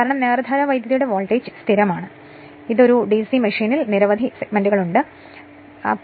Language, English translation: Malayalam, Because with because with time DC voltage is constant, but in a DC machine you have several segments you cannot unless and until you see in your exact your what you call that figure right